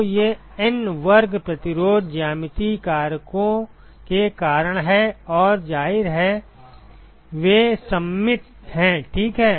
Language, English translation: Hindi, So, these N square resistances are because of the geometric factors and obviously, they are symmetrical, right